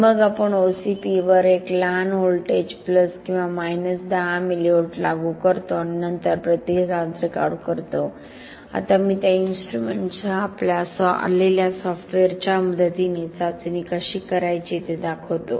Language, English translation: Marathi, And then we apply a small voltage plus or minus 10 millivolts over the OCP and then record the response now I will show how to do the testing with the help of the software that comes with that an instrument